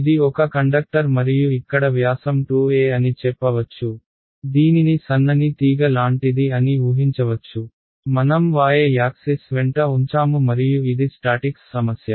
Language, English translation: Telugu, It is a conductor and diameter over here is say some 2 a, imagine is like a thin wire basically that I have placed along the y axis and it is a statics problem